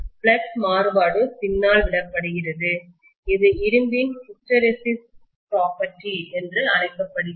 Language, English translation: Tamil, The variation in the flux is left behind which is known as the hysteresis property of the iron